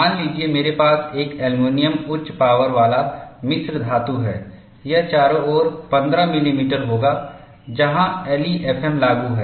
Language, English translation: Hindi, Suppose, I have an aluminium high strength alloy, it would be around 15 millimeter, where LEFM is applicable